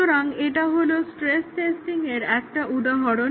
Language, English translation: Bengali, So, this is an example of stress testing